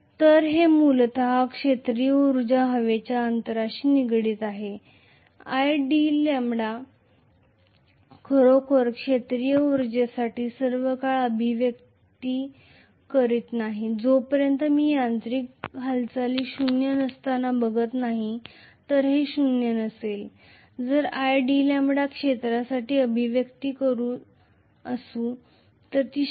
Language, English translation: Marathi, So this is essentially the field energy associated with the air gap, i d lambda is not really the expression for field energy all the time unless I am looking at the mechanical movement being zero, if it is zero yes, i d lambda can be the expression for the field energy